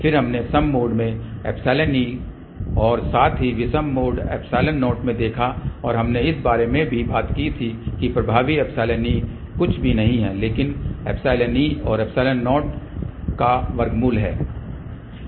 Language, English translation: Hindi, Then we looked into the even mode epsilon e as well as odd mode epsilon 0 and we had also talked about that the effective epsilon e is nothing, but the square root of epsilon e and epsilon 0